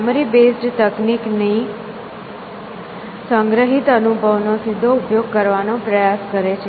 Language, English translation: Gujarati, Memory based techniques try to exploit stored experience directly essentially